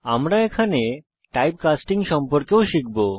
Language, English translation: Bengali, We will also learn about Type casting